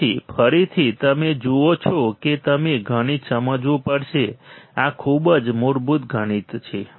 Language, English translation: Gujarati, So, again guys you see you had to understand mathematics these are this is very basic mathematics very basic mathematics